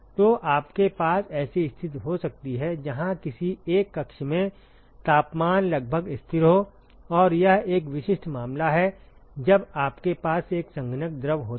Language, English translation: Hindi, So, you can have a situation where the temperature is almost constant in the one of the chambers and that is a typical case when you have a condensing fluid